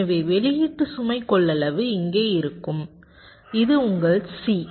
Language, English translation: Tamil, so the output load capacitance will be here